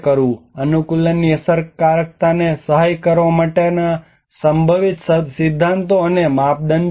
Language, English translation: Gujarati, What are the possible principles or criteria to assist effectiveness of adaptation